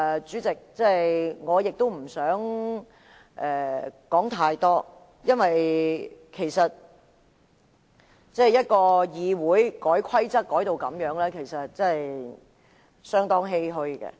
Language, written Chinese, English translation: Cantonese, 主席，我亦不想說太多，因為一個議會要把規則改成這樣，實在令人相當欷歔。, President I do not wish to dwell on it because it is indeed most saddening for the Council to change the rules in such a way